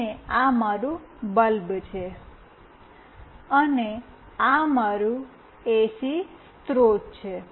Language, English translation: Gujarati, And this is my bulb, and this is my AC source